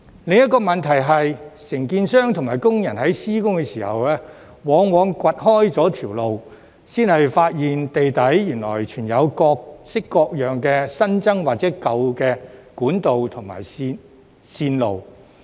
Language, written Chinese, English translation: Cantonese, 另一個問題是，承建商和工人在施工時，往往掘開路面才發現地底原來藏有各類新增或舊有管道和線路。, Another problem is that contractors and workers often discover that there are additional or old pipes and lines underneath the ground only after digging up the road surface during construction